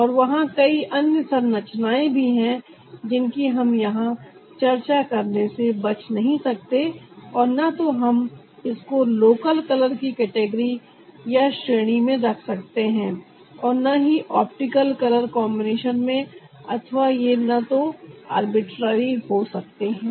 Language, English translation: Hindi, and there are other formations also that we cannot avoid to discuss here, and we can either put it in the category of local car loan on optical communication, or it may neither be arbitrary